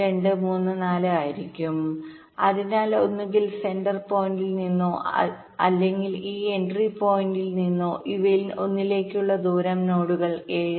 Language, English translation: Malayalam, so either from the centre point of, from this entry point, the distance up to each of these nodes will be seven